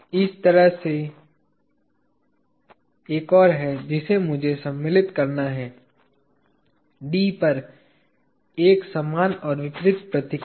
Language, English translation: Hindi, There is one more like this that I have to insert, an equal and opposite reaction at D